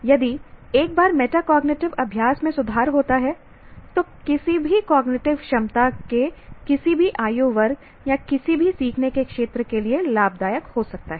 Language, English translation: Hindi, So if once the metacognitive practices improve, it can benefit at any age group of any cognitive ability or under any learning domains